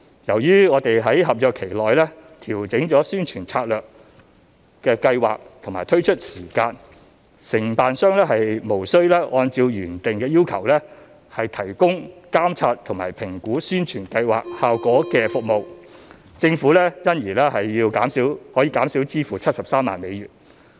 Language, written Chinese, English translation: Cantonese, 由於我們在合約期內調整了宣傳策略和計劃的推出時間，承辦商無需按照原定的要求提供監察和評估宣傳計劃效果的服務，政府因而可以減少支付73萬美元。, Since there was a change in the promotion strategy and implementation timeline during the contract period the contractor was no longer required to monitor and conduct an impact assessment of the campaign . This resulted in a saving of about US730,000